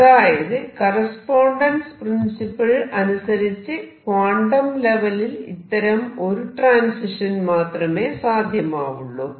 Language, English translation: Malayalam, So, to be consistent with correspondence principle there is only one transition allowed in quantum level